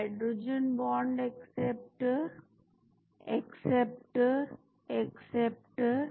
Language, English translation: Hindi, Hydrogen bond acceptor, acceptor, acceptor